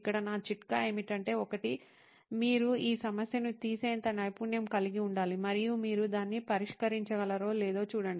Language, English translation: Telugu, Here, my tip is that, one is, you should be skilful enough to take that problem up and see if you can solve that